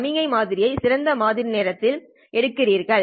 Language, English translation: Tamil, What you do is you sample the signal at its best sampling time